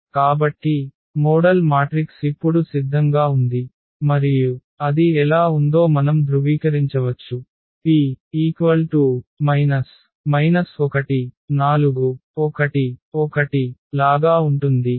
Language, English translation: Telugu, So, our model matrix is ready now and we can verify that how this P inverse AP A P look like